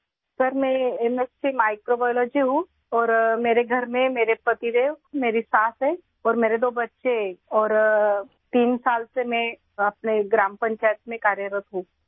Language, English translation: Urdu, Sir, I am MSC Microbiology and at home I have my husband, my motherinlaw and my two children and I have been working in my Gram Panchayat for three years